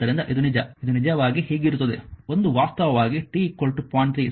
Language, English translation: Kannada, So it is actually this one actually will be this one actually will be t is equal to 0